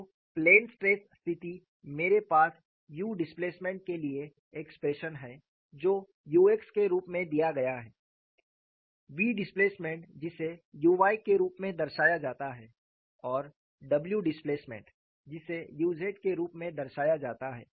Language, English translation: Hindi, So, for the plane stress case, I have the expression for u displacement which is given as u x; v displacement, it is represented as u y, and w displacement, it is represented as u z